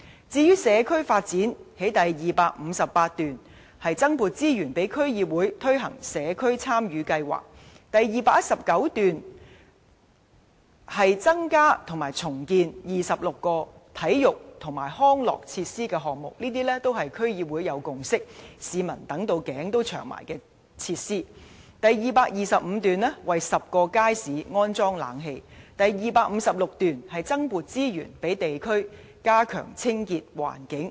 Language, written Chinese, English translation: Cantonese, 至於社區發展，第258段提出增撥資源予區議會推行"社區參與計劃"；第219段提出增建或重建26個體育及康樂設施的項目，而這些都是區議會已有共識，市民期待已久的設施；第255段提出為10個街市安裝冷氣；第256段提出增撥資源予地區加強清潔環境。, Regarding community development paragraph 258 proposes adding resources for District Councils to implement the Community Involvement Programme; paragraph 219 proposes launching 26 projects to develop new or improve existing sports and recreation facilities and District Councils have already reached a consensus on building these facilities long awaited by the people; paragraph 255 proposes installing air - conditioning in 10 public markets; paragraph 256 proposes allocating additional resources to enhance local environmental hygiene